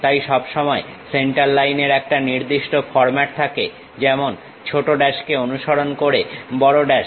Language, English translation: Bengali, So, that center line always be having a standard format like big dashes followed by small dashes